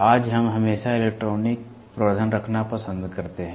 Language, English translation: Hindi, Today we always prefer to have electronic amplification